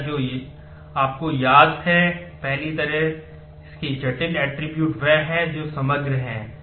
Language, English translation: Hindi, The first you remember that, the first kind of complex attribute is one which is composite